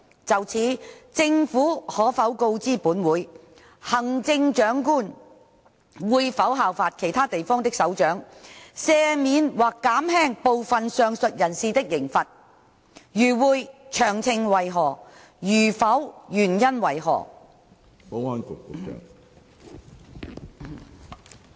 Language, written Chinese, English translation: Cantonese, 就此，政府可否告知本會，行政長官會否效法其他地方的首長，赦免或減輕部分上述人士的刑罰；如會，詳情為何；如否，原因為何？, In this connection will the Government inform this Council whether CE will follow the practice of the heads of other places to pardon some of the aforesaid persons or commute their penalties; if so of the details; if not the reasons for that?